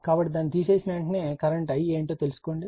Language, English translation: Telugu, So, as soon as you remove it then you find out what is the current I right